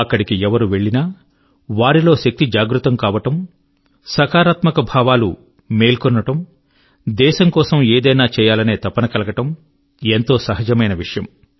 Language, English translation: Telugu, Whoever visits the place, naturally experiences a surge of inner energy, a sense of positivity; the resolve to contribute something to the country